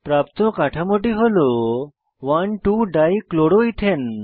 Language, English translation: Bengali, The new structure obtained is 1,2 Dichloroethane